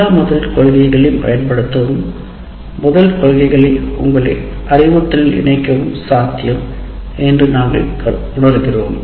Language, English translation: Tamil, We will talk about all the principles and we feel that it is possible to use all the first principles, incorporate the first principles into your instruction